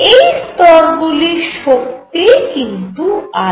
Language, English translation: Bengali, These levels have different energies